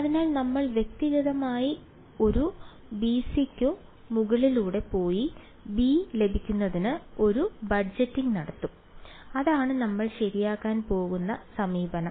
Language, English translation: Malayalam, So, we will individually go over a b c and do a budgeting to get b that is the approach that we are going to take ok